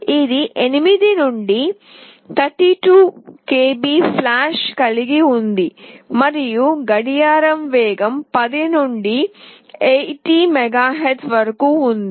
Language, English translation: Telugu, It has got 8 to 32 KB flash and the clock speed can range from 10 to 80 MHz